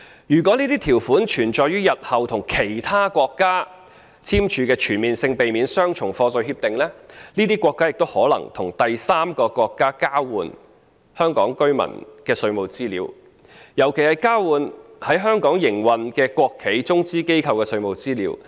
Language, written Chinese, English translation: Cantonese, 如果這些條款存在於日後與其他國家簽署的全面性避免雙重課稅協定中，這些國家也可能與第三個國家交換香港居民的稅務資料，尤其是交換在香港營運的國企及中資機構的稅務資料。, If the same provision appears in the CDTAs signed with other countries in future these countries may also exchange the tax information of Hong Kong residents―especially that of state - owned enterprises and Chinese - funded enterprises operating in Hong Kong―with a third country